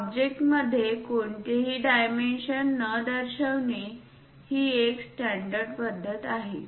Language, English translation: Marathi, It is a standard practice not to show any dimension inside the object